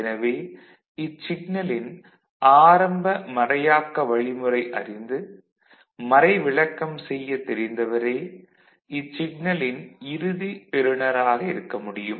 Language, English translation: Tamil, Only the person who knows how to decrypt it what was the initial encryption algorithm, they are the ones who can make a meaning as the final recipient of that signal